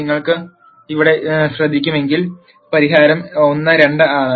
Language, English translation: Malayalam, And as you notice here the solution is 1 2